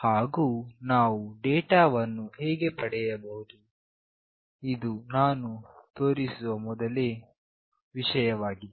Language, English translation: Kannada, And how we can receive the data, this is the first thing that I will show